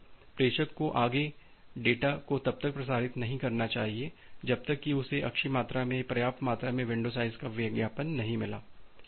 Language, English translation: Hindi, So, the sender should stall transmitting further data until it gets a good amount or sufficient or sufficient amount of window size advertisement